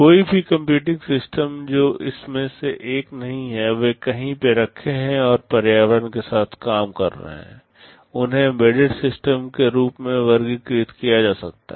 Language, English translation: Hindi, Any computing system that is not one of these, they are sitting somewhere and working with the environment, they can be classified as embedded systems